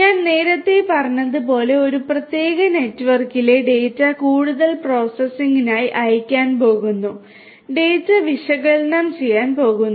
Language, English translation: Malayalam, Data over a particular network are going to be sent for further processing as I was telling you earlier; the data are going to be analyzed